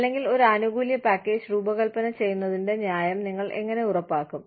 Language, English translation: Malayalam, Or, how do you ensure, the fairness of designing, a benefits package